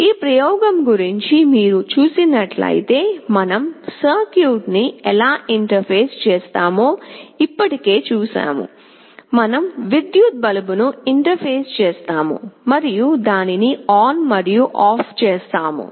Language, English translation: Telugu, If you see the statement of this experiment, we will be interfacing the electric bulb, we have already seen how we shall be interfacing the circuit, and will be switching it on and off